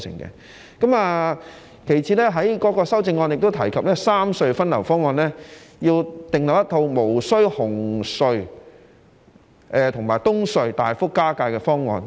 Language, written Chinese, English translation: Cantonese, 其次，他在修正案中提及三隧分流方案，要訂立一套無需紅隧和東隧大幅加價的方案。, Secondly he mentions in the amendment that the plan to rationalize the traffic among the three tunnels should be drawn up without a substantial increase in the toll of the Cross - Harbour Tunnel and the Eastern Harbour Crossing